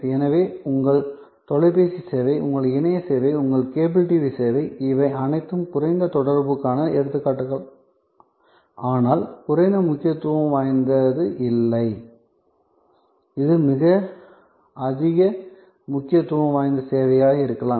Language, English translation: Tamil, So, your phone service, your internet service, your cable TV service, these are all examples of low contact, but not low importance, it could be very high importance service